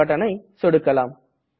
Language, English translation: Tamil, And click on the Print button